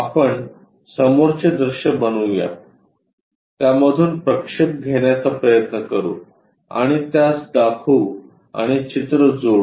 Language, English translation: Marathi, Let us make front view, try to make projections out of it and represent it and connect the picture